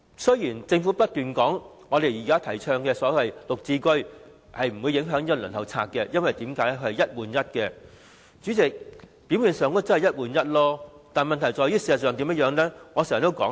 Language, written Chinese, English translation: Cantonese, 雖然政府不斷說現時提出的綠表置居計劃不會影響輪候冊，因為是一個單位換一個單位，但它沒有任何方案解決輪候人數眾多的問題。, Despite the Governments repeated assurance that the Green Form Subsidized Home Ownership Scheme GSH will not affect the waiting list as it is on a one - for - one basis it fails to come up with any solution to shorten the long waiting list